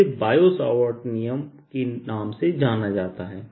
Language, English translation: Hindi, this is known as the bio savart law